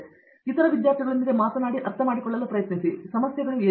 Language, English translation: Kannada, Again, talk to others students and try to understand, what their problems are